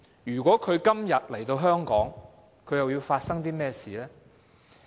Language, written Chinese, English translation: Cantonese, 如果今天她來香港，又會發生甚麼事？, If she came to Hong Kong now what would have happened?